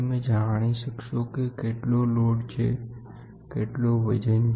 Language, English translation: Gujarati, You can know what is the load, what is the weight